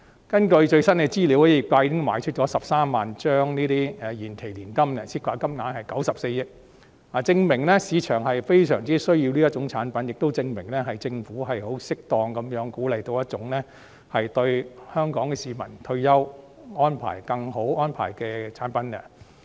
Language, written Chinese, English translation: Cantonese, 根據最新的資料，業界已經售出13萬張延期年金保單，涉及金額94億元，證明市場對這類產品需求殷切，亦證明政府適當鼓勵了為香港市民提供更佳退休安排的一種產品。, According to the latest information the sector has sold 130 000 deferred annuity policies involving 9.4 billion . This reflects the earnest demand for such products in the market and the fact that a product which provides a better retirement arrangement for Hong Kong people has been given the right boost by the Government